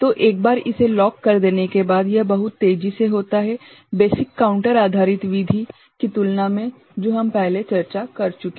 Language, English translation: Hindi, So, once it is locked it is very fast right, compared to the basic counter based method we discuss before ok